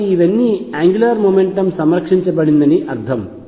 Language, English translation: Telugu, So, all these mean that angular momentum is conserved